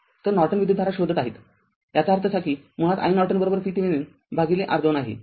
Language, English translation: Marathi, So, finding Norton current; that means, i Norton basically is equal to V Thevenin by R thevenin